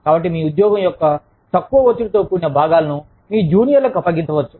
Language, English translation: Telugu, So, you could, you know, delegate the less stressful parts of your job, to your juniors